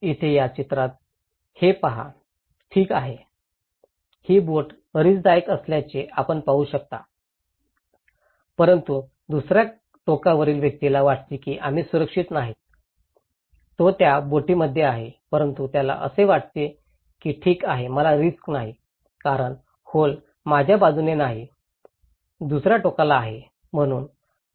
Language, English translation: Marathi, Here, look into this in this picture okay, you can see this boat is at risk but the person in the other end thinks that we are not safe, he is in the same boat, but he thinks that okay I am not at risk because the hole is not at my side, is in the other end